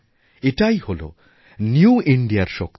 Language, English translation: Bengali, This is the power of New India